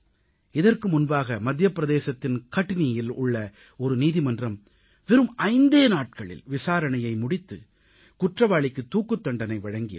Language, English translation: Tamil, Earlier, a court in Katni in Madhya Pradesh awarded the death sentence to the guilty after a hearing of just five days